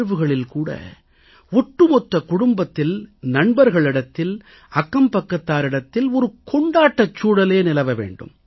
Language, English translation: Tamil, Hence, during examinations too, an atmosphere of festivity should be created in the whole family, amongst friends and around the neighbourhood